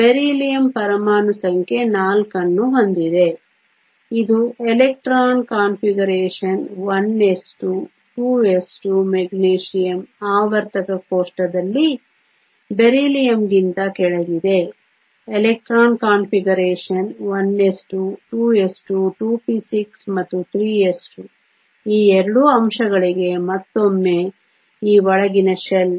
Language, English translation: Kannada, Beryllium has an atomic number of 4, it has an electron configuration 1 s 2, 2 s 2 the Magnesium is below Beryllium in the periodic table has an electronic configuration 1 s 2, 2 s 2, 2 p 6 and 3 s 2 once again for both of these elements these are the inner shell